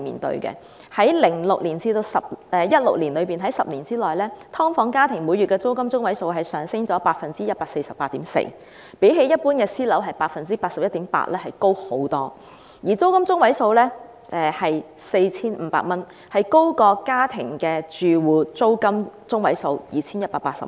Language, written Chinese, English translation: Cantonese, 在2006年至2016年的10年期間，"劏房"每月租金中位數上升了 148.4%， 較一般私樓的升幅 81.8% 高出很多；而"劏房"的租金中位數是 4,500 元，高於全港家庭住戶的每月租金中位數 2,180 元。, In the 10 years between 2006 and 2016 the median monthly rental of subdivided units has soared by 148.4 % way higher than the 81.8 % percentage of rate increase for private housing . And the median rental of subdivided units is 4,500 higher than the median monthly rental payment for all domestic households in the territory which is 2,180